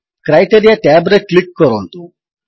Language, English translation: Odia, Lets click the Criteria tab